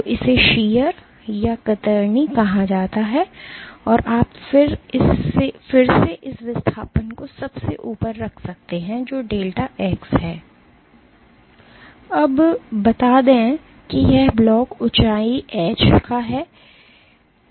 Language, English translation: Hindi, So, this is called is called as shear and you can have again this displacement at the top which is delta x and let us say this block is of height h